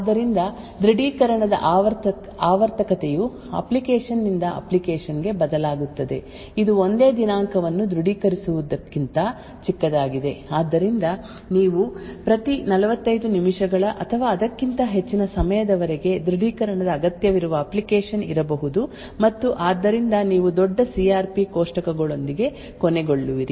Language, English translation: Kannada, So the periodicity of the authentication would vary from application to application, it could be much smaller than authenticating a single date so there could be application where you require authentication every say 45 minutes or so and therefore you would end up with very large CRP tables